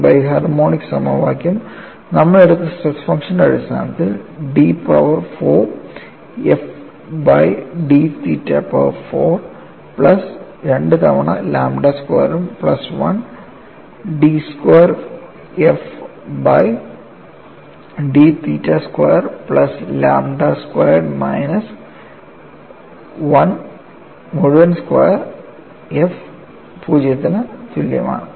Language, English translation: Malayalam, And, this biharmonic equation, in terms of the stress function that we have taken, turns out to be d power 4 f divided by t theta power 4 plus 2 times lambda squared plus 1 d squared phi d squared f by d theta squared plus lambda squared minus 1 whole squared f equal to 0